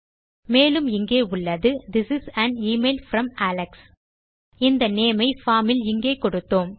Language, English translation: Tamil, And then we have This is an email from Alex which is the name we gave inside the form here